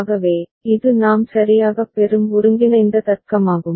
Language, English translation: Tamil, So, this is the combinatorial logic that we will get right